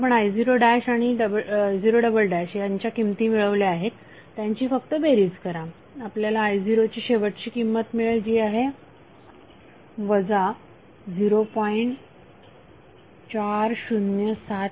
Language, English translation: Marathi, You have found the value of i0 dash and i0 double dash you just add the value, you will get final value of i0 that is minus of 0